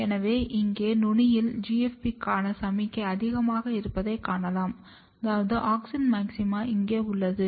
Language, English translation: Tamil, So, here at the tip you can see that the signal for GFP is high which means that an auxin maxima is present over here